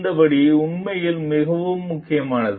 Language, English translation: Tamil, This step is really very important